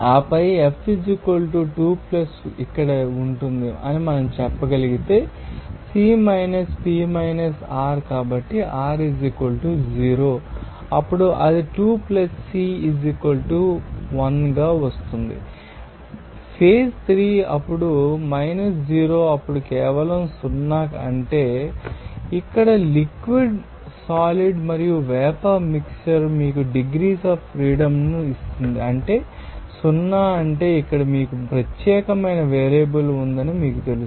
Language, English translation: Telugu, And then what we can say that F will be = 2 + here C P r since it is nonreactive So, r = 0 then it will be coming as 2 + C = 1 phase is 3 then 0 then is simply 0 that means, here a mixture of liquid solid and vapour what will give you the degrees of freedom is 0 that means, here you have to specify a particular you know that specific variable there and it cannot be changed